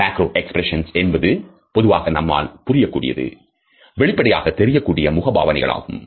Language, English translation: Tamil, Macro expressions are what we understand to be obvious or normal facial expressions